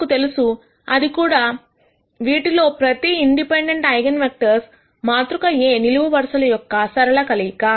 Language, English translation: Telugu, We also know that each of these independent eigenvectors are going to be linear combinations of columns of A